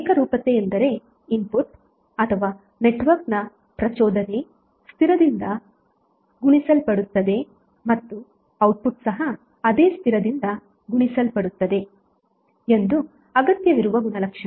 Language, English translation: Kannada, Homogeneity means the property which requires that if the input or you can say that excitation of the network is multiplied by a constant then the output is also multiplied by the same constant